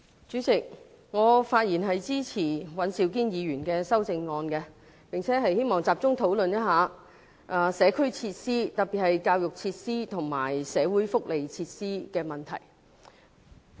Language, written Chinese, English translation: Cantonese, 主席，我發言支持尹兆堅議員的修正案，並希望集中討論社區設施，特別是教育設施和社會福利設施的問題。, President I speak in support of Mr Andrew WANs amendment and would like to focus my speech on community facilities especially issues on education facilities and social welfare facilities